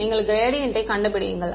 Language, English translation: Tamil, You find the gradient